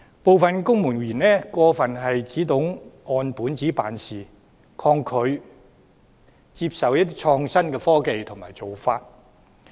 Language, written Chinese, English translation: Cantonese, 部分公務員只懂按本子辦事，抗拒接受創新的科技和做法。, Some civil servants only go by the book and refuse to accept innovative technologies and practices